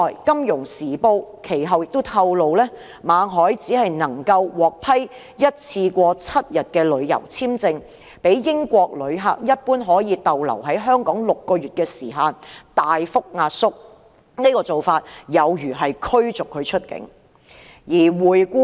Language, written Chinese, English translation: Cantonese, 《金融時報》其後亦透露，馬凱只獲批單次7天的旅遊簽證，較英國旅客一般可以留港6個月的時限大幅壓縮，此做法有如把他驅逐出境。, The Financial Times also revealed later that Victor MALLET was only granted a seven - day single entry tourist visa . The period of stay is much shorter than the six - month period that a British tourist can normally stay in Hong Kong . This act is actually expelling Victor MALLET from Hong Kong